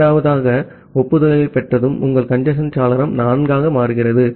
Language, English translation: Tamil, Once you are receiving the second acknowledgements, your congestion window becomes 4